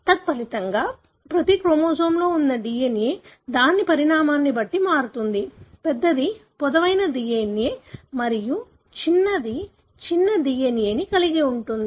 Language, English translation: Telugu, As a result, you can also expect the DNA that is present in each chromosome, vary according to its size; larger one will have longer DNA and smaller one would have smaller DNA